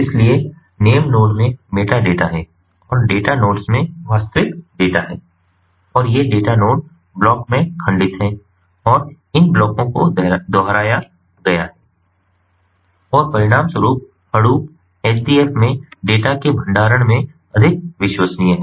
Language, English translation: Hindi, so name node has the metadata and the data nodes have the actual data and these data nodes are fragmented into blocks and these blocks are replicated and consequently, we have more reliability in the storage of the data in ah hadoop, ah, hdfs